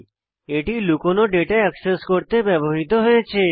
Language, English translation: Bengali, It is used to access the hidden data